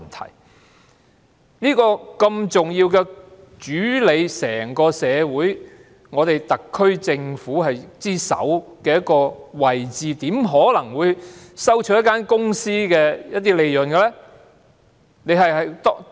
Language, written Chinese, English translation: Cantonese, 他身處這個如此重要、主理整個社會、特區政府之首的位置，怎可能收取一間公司的利潤呢？, Being in such an important position of governing the whole community and the leader of the SAR Government how could he receive profits from a corporation?